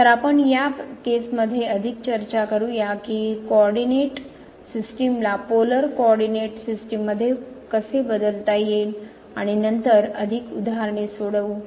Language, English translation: Marathi, So, we will talk more on these issues that what could be the problem by while changing the coordinate system to polar coordinate and more examples later